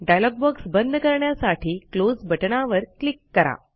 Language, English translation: Marathi, Click on the Close button to close the dialog box